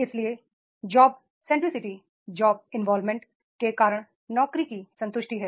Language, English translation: Hindi, Job centricity means that is a concentration on the job